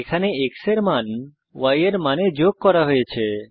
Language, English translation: Bengali, Here the value of x is added to the value of y